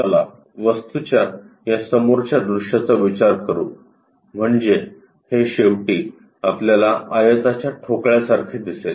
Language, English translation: Marathi, Let us consider the front view of the object is this one, so that we will see these ends something like a rectangular block